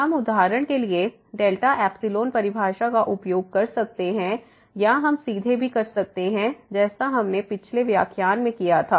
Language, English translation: Hindi, We can use for example, the delta epsilon definition or we can also do directly as we have done in the previous lecture